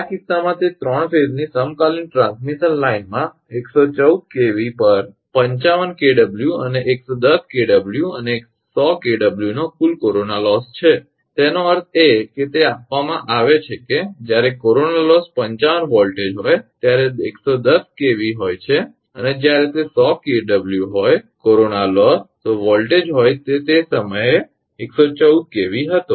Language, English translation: Gujarati, In this case that a 3 phase equilateral transmission line has a total corona loss of 50 or 55 kilowatt and 110 kV and 155 kilowatt at 110 kV and 100 kilowatt at 114 kV; that means, it is given that when corona loss is 55 voltage is 110 kV and when it is 100 kilowatt corona loss voltage at the time it was 114 kV